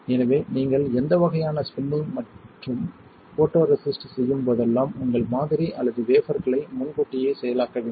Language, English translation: Tamil, So, whenever you do any kind of spinning and photoresist you want to pre process your sample or wafer